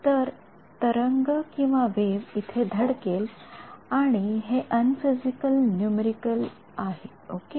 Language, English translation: Marathi, So, the wave hits over here and this is unphysical numerical ok